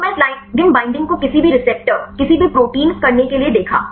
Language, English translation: Hindi, So, I show this ligand binding to any receptor any protein right